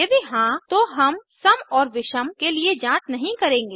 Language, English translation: Hindi, If yes then we will not check for even and odd